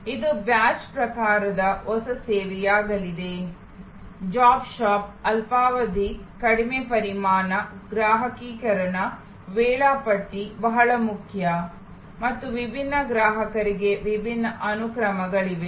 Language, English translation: Kannada, It will be a new service of the batch type, job shop, short duration, low volume, customization, scheduling is very important and there are different sequences for different customers